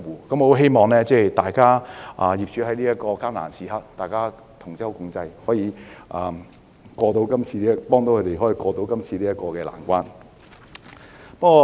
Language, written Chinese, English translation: Cantonese, 我希望業主在這個艱難時刻能夠同舟共濟，幫助業界渡過今次的難關。, I hope landlords can pull together at such difficult times and help the sectors ride out this predicament